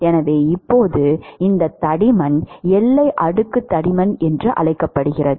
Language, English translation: Tamil, So, now, this thickness is what is called the ‘boundary layer thickness’